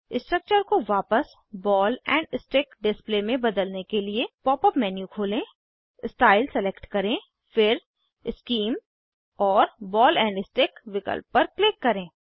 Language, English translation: Hindi, To convert the structure back to Ball and stick display, Open the pop up menu, select Style, then Scheme and click on Ball and stick option